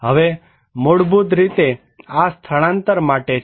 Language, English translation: Gujarati, Now, this is basically for the relocations